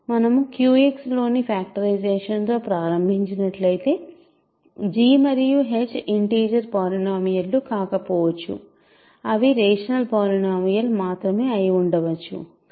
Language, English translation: Telugu, That means, if we started with the factorization in Q X a priori g and h may not be integer polynomials we may have that they are only rational polynomials